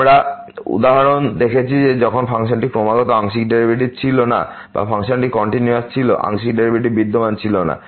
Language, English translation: Bengali, We have seen the example when the function was not continuous partial derivatives exist or the function was continuous, partial derivative do not exist